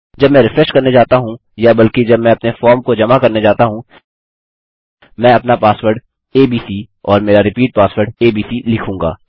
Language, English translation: Hindi, When I go to refresh or rather when I go to submit my form, I will say my password is abc and my repeat password is abc